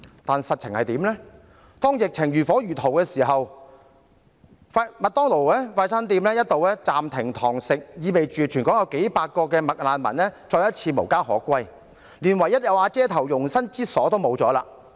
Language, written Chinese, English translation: Cantonese, "但實情是，當疫情如火如荼之時，快餐店"麥當勞"一度暫停堂食業務，意味全港數百名"麥難民"再次無家可歸，連唯一有瓦遮頭的容身之處也失去。, In reality however in the heat of the epidemic the fast food shop McDonalds suspended its dine - in services implying that once again hundreds of McRefugees across the territory could stay nowhere having lost their only shelter